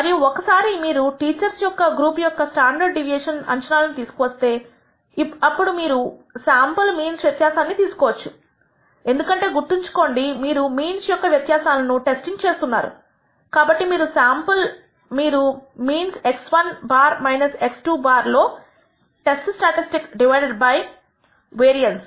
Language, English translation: Telugu, This is a way by which you obtain the pooled variance for two groups, and once you obtain an estimate of the standard deviation of the group of teachers then you can take the difference in the sample means because remember you are testing the di erence in means, so you can take as the test statistic in the sample means x 1 bar minus x 2 bar divided by the variance standard deviation of these means which is what this is all about